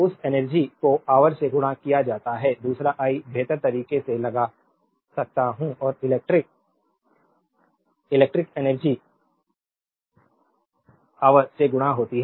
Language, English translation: Hindi, That energy is power multiplied by hour, another I can put in better way that electrical energy is power multiplied by hour right